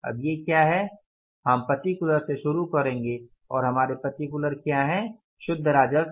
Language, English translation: Hindi, Now what is the we will start with particulars and what is our particulars here net revenue